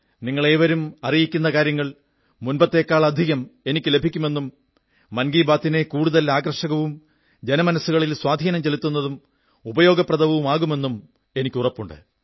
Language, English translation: Malayalam, I firmly believe that your ideas and your views will continue reaching me in even greater numbers and will help make Mann Ki Baat more interesting, effective and useful